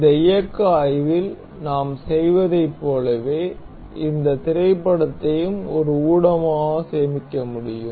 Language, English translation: Tamil, Similar to like that we have done in this motion study, we can also save this movie as a media